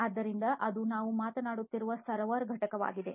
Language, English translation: Kannada, So, that is the server component that we are talking about